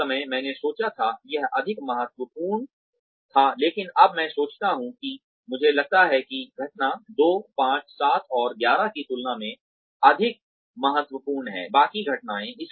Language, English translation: Hindi, That, I thought at the time, it was more important, but now, in hindsight, I think incident 2, 5, 7, and 11 are more critical than, the rest of the incidents